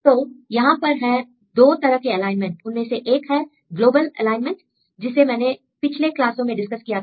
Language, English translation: Hindi, So, here there are 2 types of alignment one alignment is the global alignment as I discussed in the previous classes